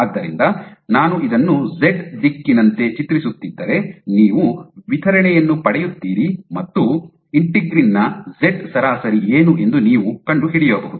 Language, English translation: Kannada, So, what you can get is So, if I were to draw this as a z direction you would get a distribution, and you can find out what is the z average of integrin